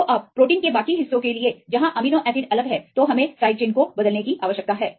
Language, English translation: Hindi, So, the now for the rest of the protein where the amino acids are different right, then we need to replace the side chains